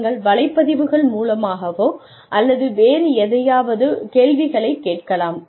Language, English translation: Tamil, You could ask questions, either via blogs, or, whatever, etcetera